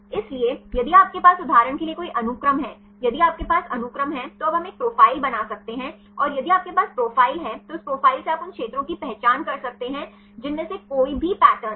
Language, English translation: Hindi, So, if you have any sequence right for example, if we have the sequence, now we can make a profile and if you have the profile then from that profile you can identify the regions which have any of these patterns